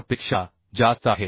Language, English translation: Marathi, 4 and as it is more than 0